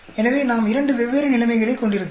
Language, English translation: Tamil, So, we can have two different situations